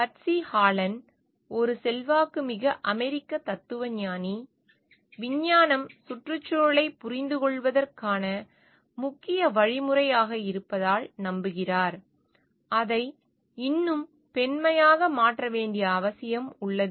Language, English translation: Tamil, Patsy Hallen an influential American philosopher believes that because science is a chief means of understanding the environment; there is a need to make it more feminine